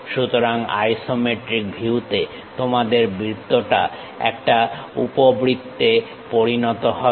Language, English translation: Bengali, So, in isometric views your circle when you rotate it, it looks like an ellipse